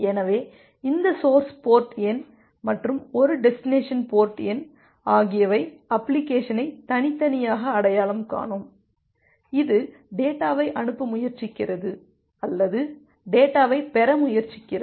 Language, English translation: Tamil, So, this source port number and a destination port number will uniquely identify the application, which is trying to send the data or which is trying to receive the data